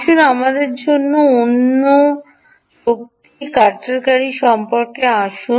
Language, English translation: Bengali, let us know talk about another type of energy harvester, right, harvester